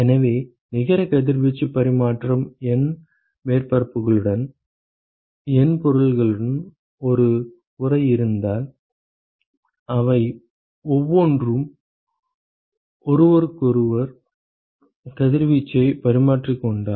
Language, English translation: Tamil, So, we said that the net radiation exchange, if we have an enclosure with N objects with N surfaces and each of them are exchanging radiation with each other